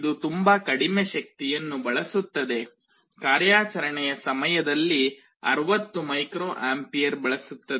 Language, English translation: Kannada, And it also consumes very low power, 60 microampere current during operation